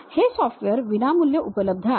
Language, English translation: Marathi, These are the freely available software